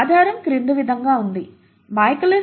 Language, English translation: Telugu, The basis is as follows; the Michaelis Menton is V equals to VmS by Km plus S